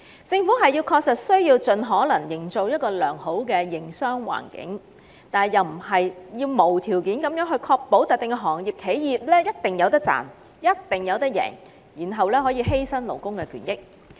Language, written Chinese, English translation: Cantonese, 政府確須盡力營造一個良好的營商環境，但並非無條件確保某些行業/企業必定會有盈利，甚至為此犧牲勞工的權益。, It is for sure that the Government must do its best to create a good business environment but it is not supposed to even at the expense of labour rights and interests unconditionally ensure profitability for certain industriesenterprises